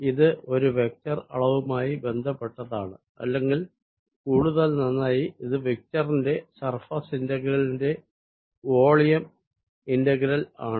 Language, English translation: Malayalam, this relates divergence of a vector quantity or, even better, it's volume integral to the surface, integral of that vector quantity